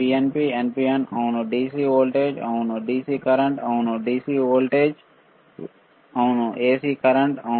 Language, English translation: Telugu, NPN PNP yes, DC voltage yes, DC current yes, AC voltage yes, AC current yes